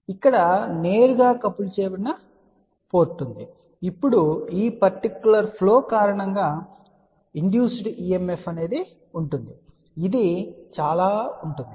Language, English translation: Telugu, So, this is where the directly coupled port is there , now because of this particular flow there will be an induced EMF which will be like this